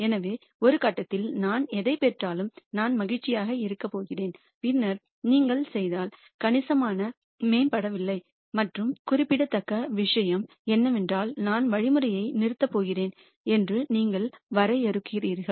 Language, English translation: Tamil, So, I am going to be happy with whatever I get at some point and then say if you do not improve significantly and what is significant is something that you define I am going to stop the algorithm